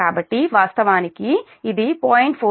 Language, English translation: Telugu, so this is actually